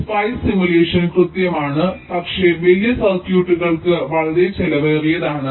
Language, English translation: Malayalam, so spice simulation is accurate but too expensive for larger circuits